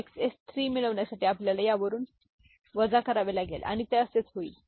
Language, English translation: Marathi, To get XS 3 we have to subtract 3 from it and that is how it will